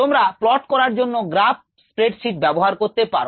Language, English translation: Bengali, you can use a graph sheet to plot